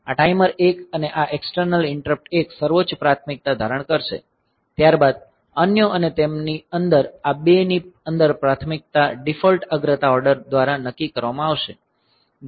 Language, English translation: Gujarati, So, your interrupt INT 1, sorry this timer 1 and this external interrupt 1 to they will assume the highest priority, followed by others and within them within these two the priority will be decided by the default priority order